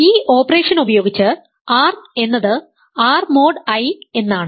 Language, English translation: Malayalam, So, this is actually read as R mod I